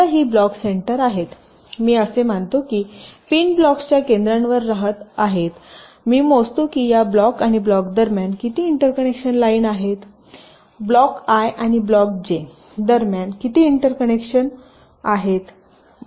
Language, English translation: Marathi, i assume that the pins are residing at the centers of blocks and i calculate how many interconnection lines are there between this block and this block, that is, c i j between block i and block j